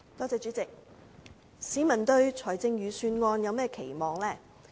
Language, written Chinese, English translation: Cantonese, 主席，市民對財政預算案有甚麼期望？, President what is the peoples expectation for the Budget?